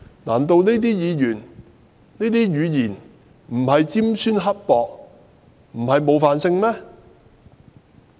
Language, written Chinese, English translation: Cantonese, 難道這些言詞並非尖酸刻薄，不具冒犯性嗎？, Is he saying that all such words are not scornful and offensive?